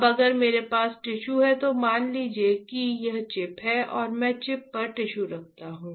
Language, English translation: Hindi, Now if I have a tissue, let us assume that this is the chip and I place a tissue on the chip